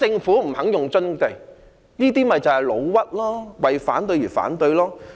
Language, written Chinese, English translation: Cantonese, 他們便是"老屈"，為反對而反對。, They simply make false accusations and oppose for the sake of opposition